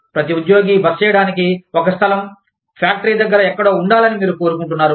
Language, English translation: Telugu, We want every employee, to have a place to stay, somewhere near the factory